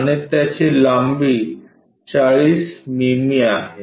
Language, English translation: Marathi, And, it is 40 mm length